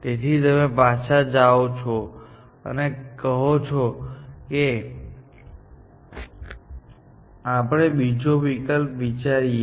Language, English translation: Gujarati, So, you go back and say, let us try another option